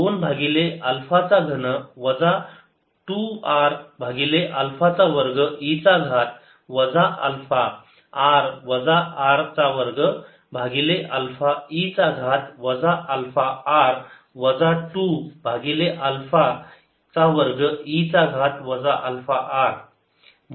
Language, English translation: Marathi, i have this whole thing: two over alpha cube, minus two r over alpha square e raise to minus alpha r minus r square over alpha e raise to minus alpha r minus two over alpha cubed e raise to minus alpha r